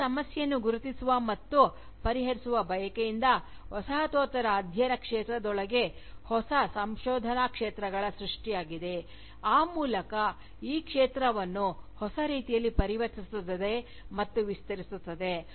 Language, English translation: Kannada, A desire to recognise and address this issue, has again opened new research areas, within the field of Postcolonial studies, thereby transforming and expanding this field, in new ways